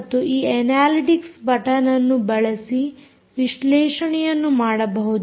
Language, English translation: Kannada, you can analyze a lot of that using this analytics button